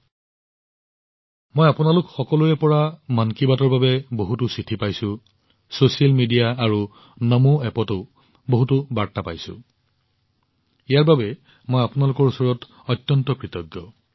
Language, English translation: Assamese, I have received many letters from all of you for 'Mann Ki Baat'; I have also received many messages on social media and NaMoApp